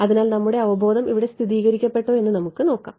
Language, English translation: Malayalam, So let us see what if our intuition is confirmed over here